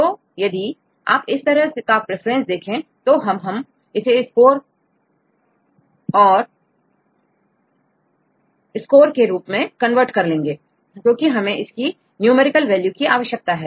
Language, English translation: Hindi, So, if we get this preference, then we can convert this in the score because we need a numerical values right